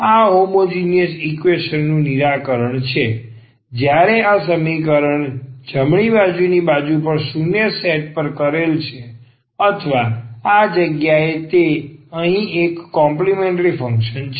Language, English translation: Gujarati, That is the solution of the homogeneous equation when this right hand side is set to 0 or this is rather to say it is a complementary function here